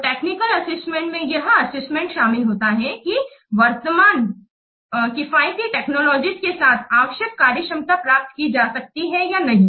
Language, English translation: Hindi, So, the technical assessment consists of evaluating whether the required functionality can be achieved with current affordable technologies